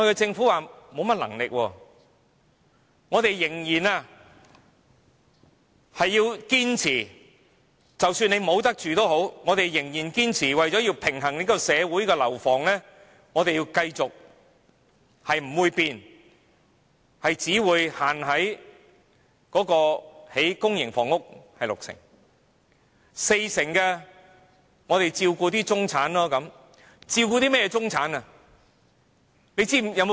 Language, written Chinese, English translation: Cantonese, 政府表示無能為力，即使很多人沒有地方住，它仍然堅持為了平衡社會不同需要而繼續拒絕改變，限制興建六成公營房屋，四成房屋用來照顧中產的需要。, How does the Government respond to them? . It says that it cannot help . Although many people do not even have a place to live the Government still refuses to change insisting that it needs to balance the needs of different stakeholders in society and restrict the public - private split of housing construction to 60col40 so as to attend to the needs of the middle class